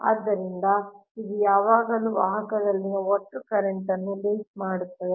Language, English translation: Kannada, so it will always link the total current in the conductor right